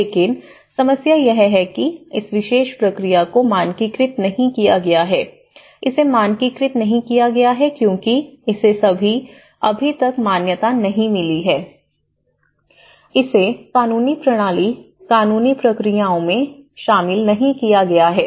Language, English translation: Hindi, But the problem is this particular process has not been standardized, the reason why it has not been standardized is it has not been recognized, it has not been incorporated in the legal system, legal procedures